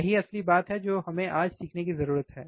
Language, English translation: Hindi, That is the real thing that we need to learn today